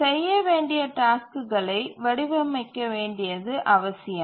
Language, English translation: Tamil, It requires to design tasks to be done